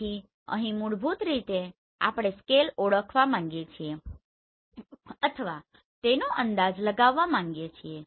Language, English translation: Gujarati, So here basically we want to identify or we want to estimate the scale if you know the scale everything will be easy